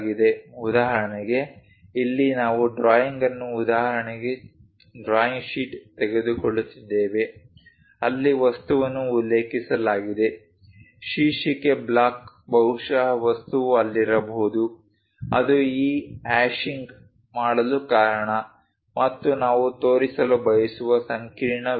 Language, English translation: Kannada, For example, here we are taking a drawing an example drawing sheet where an object is mentioned, the title block perhaps material is present there that is the reason this hashing is done and the intricate details we would like to show